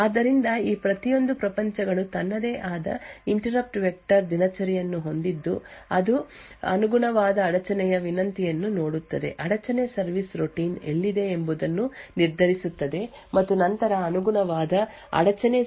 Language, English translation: Kannada, So, each of these worlds would have its own interrupt vector routine which would then look up the corresponding interrupt request determine where the interrupt service routine is present and then execute that corresponding interrupt service routine